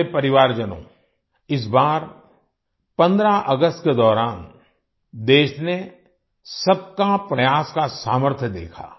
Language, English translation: Hindi, My family members, this time on 15th August, the country saw the power of 'Sabka Prayas'